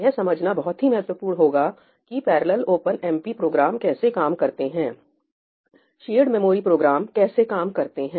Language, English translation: Hindi, This will be important to really understand how parallel OpenMP programs work , shared memory programs work